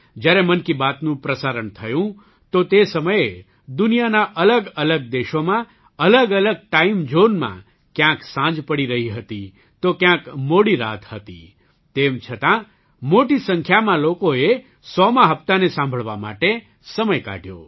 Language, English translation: Gujarati, When 'Mann Ki Baat' was broadcast, in different countries of the world, in various time zones, somewhere it was evening and somewhere it was late night… despite that, a large number of people took time out to listen to the 100th episode